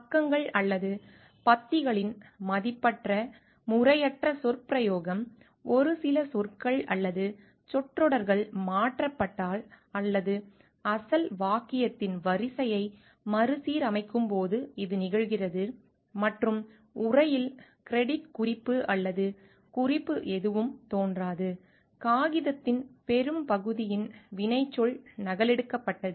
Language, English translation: Tamil, Uncredited improper paraphrasing of pages or paragraphs, it occurs when only a few words or phrases have been changed or the order of the original sentence has been rearranged and no credit note or reference appears in the text, credited verbatim copying of a major portion of paper without clear delineation